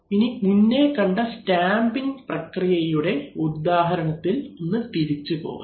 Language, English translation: Malayalam, So we come back to our old stamping process example which we have seen in earlier lectures